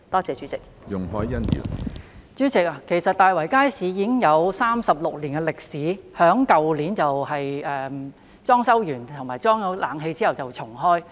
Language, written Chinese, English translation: Cantonese, 主席，其實大圍街市已有36年歷史，並於去年完成裝修和安裝冷氣後重開。, President in fact the Market has a history of 36 years and reopened last year upon completion of the renovation works and the installation of an air - conditioning system